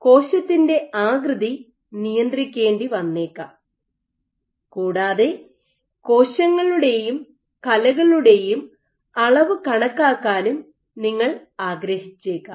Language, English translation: Malayalam, You may want to regulate cell shape and you may also want to measure quantify properties of cells and tissues